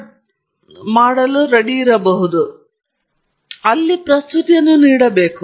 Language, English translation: Kannada, So, you should go ahead and make a presentation there